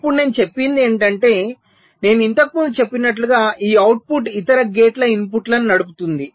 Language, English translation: Telugu, now what i am saying is that this output, as i said earlier, may be driving the inputs of other gates